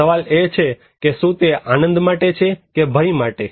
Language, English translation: Gujarati, Now the question, is it a fun or danger